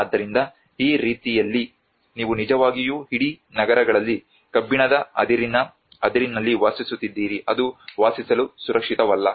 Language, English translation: Kannada, So in that way you are actually living on the whole cities on an iron ore which is not safe for living